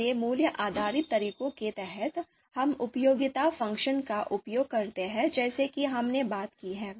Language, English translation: Hindi, So under value based methods, we use utility function as we have talked about